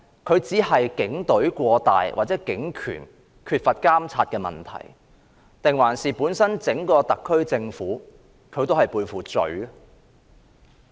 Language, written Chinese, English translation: Cantonese, 這只是警權過大、警隊缺乏監察的問題，還是整個特區政府本身也背負罪呢？, Is this a problem merely to do with excessive police power and lack of monitoring of the Police Force or is it that the entire SAR Government is guilty?